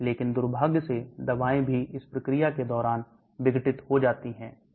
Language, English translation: Hindi, But unfortunately drugs also gets degraded during the process